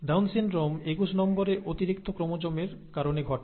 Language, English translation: Bengali, Down syndrome is caused by an extra chromosome number twenty one